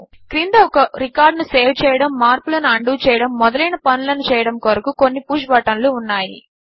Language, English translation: Telugu, Here are some push buttons at the bottom for performing actions like saving a record, undoing the changes etc